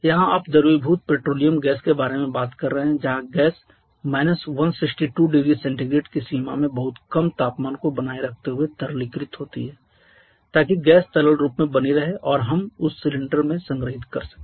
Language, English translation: Hindi, Here you are talking about liquefied petroleum gas where the gas is liquefied at by maintaining a very low temperature something in the range of minus 162 degree Celsius so that the gas remains in liquid form and we are able to store that in cylinders